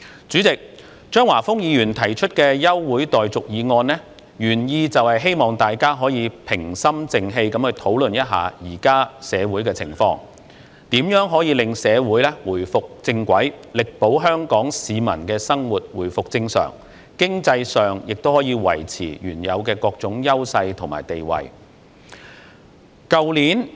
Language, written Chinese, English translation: Cantonese, 主席，張華峰議員提出的休會待續議案，原意是希望大家可以平心靜氣去討論現時社會的情況，如何令社會回復正軌，力保香港市民的生活回復正常，經濟上亦可以維持原有的各種優勢和地位。, President Mr Christopher CHEUNG proposed the adjournment motion with the purpose of facilitating a dispassionate discussion about the current social situation to see how society can get back onto the right track so that the people of Hong Kong can return to their normal lives and the economy can maintain various edges and positions which it originally enjoys